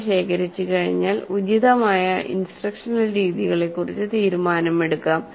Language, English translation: Malayalam, Once the data is collected, a decision about the appropriate forms of instruction then can be made